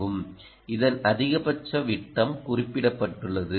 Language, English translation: Tamil, maximum ah diameter of this is also mentioned